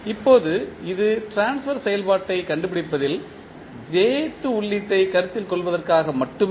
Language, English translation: Tamil, Now, this is only for considering the jth input in finding out the transfer function